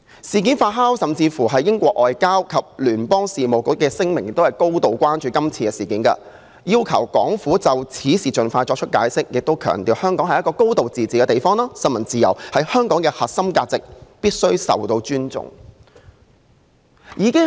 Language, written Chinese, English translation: Cantonese, 事件發酵，英國外交及聯邦事務部亦發表聲明，表示高度關注今次事件，要求港府就此事盡快作出解釋，並強調香港是一個"高度自治"的地方，新聞自由是香港的核心價值，必須受到尊重。, The incident fermented . The Foreign and Commonwealth Office of the United Kingdom also issued a statement to express its grave concern about the incident; it asked the Hong Kong Government for an urgent explanation and stressed that Hong Kongs high degree of autonomy and press freedom were central to its way of life and must be respected